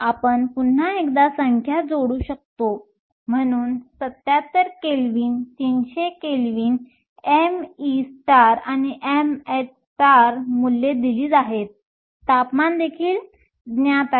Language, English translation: Marathi, We can once again plug in the numbers, so 77 Kelvin, 300 Kelvin m e star and m h star values are given temperature is also known